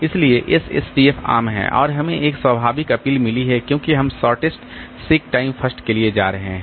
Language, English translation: Hindi, So, SSTF is common and has got a natural appeal because we are going for shortest sick time first